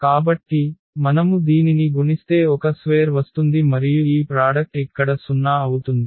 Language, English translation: Telugu, So, if you multiply this a square will come and then this product will be 0 here